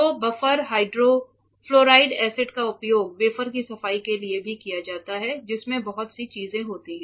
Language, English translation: Hindi, So, for a hydrofluoric acid buffered hydrofluoric acid is also used for cleaning the wafer a lot of things are there